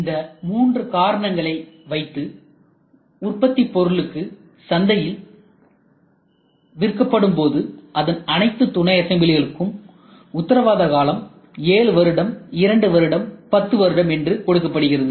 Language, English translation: Tamil, So, these are the three objectives in fact today when the product sold in the market entire sum of their subassemblies are given warranty 7 years warranty, 2 years warranty, 10 years warranty, 6 years it is given